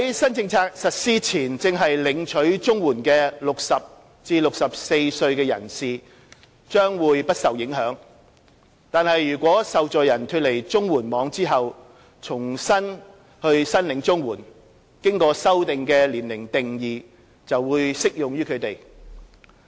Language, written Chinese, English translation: Cantonese, 新政策實施前正領取綜援的60至64歲人士將不受影響，但如果受助人脫離綜援網後重新申領綜援，經修訂的年齡定義則適用於他們。, Persons aged between 60 and 64 who are receiving CSSA before the new policy takes effect will however not be affected except when they re - apply for CSSA after having left the CSSA net in which case the revised definition of old age will apply to them